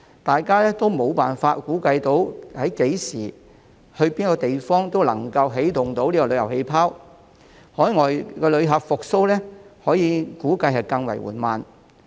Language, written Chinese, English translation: Cantonese, 大家都沒有辦法估計何時及哪個地方可以起動旅遊氣泡，海外旅客復蘇估計會更為緩慢。, We are all unable to anticipate when and where a travel bubble can be launched and the revival of overseas arrivals is expected to be even slower